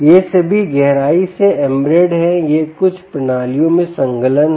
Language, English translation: Hindi, these are all deeply embedded, these are enclosed in certain systems